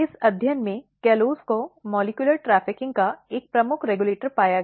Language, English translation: Hindi, In this study callose was found to be a major regulator of molecular trafficking